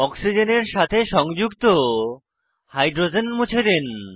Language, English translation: Bengali, Delete the hydrogen attached to the oxygen